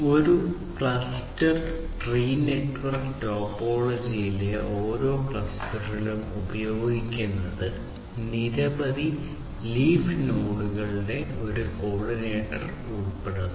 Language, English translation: Malayalam, So, each cluster in a cluster tree network topology if the cluster tree topology is used involves a coordinator through several leaf nodes